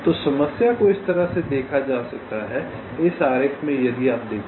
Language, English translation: Hindi, so the problem can be viewed like this in this diagram, if you see so